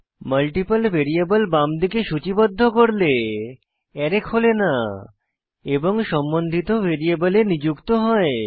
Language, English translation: Bengali, If we list multiple variables on the left hand side, then the array is unpacked and assigned into the respective variables